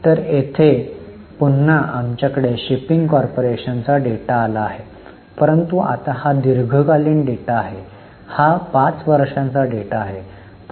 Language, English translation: Marathi, So, here again we have got the data for shipping corporation but now it's a long term data, it's a five year data